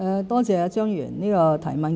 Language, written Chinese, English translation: Cantonese, 多謝張議員的提問。, I thank Mr CHEUNG for the question